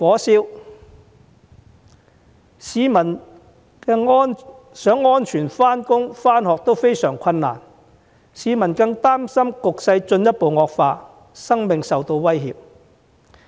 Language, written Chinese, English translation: Cantonese, 市民想安全上班上學也相當困難，更擔心若局勢進一步惡化，生命將會受到威脅。, People even have much difficulty commuting safely to school and to work . And what is more worrying to them is that their lives will be endangered if the situation further deteriorates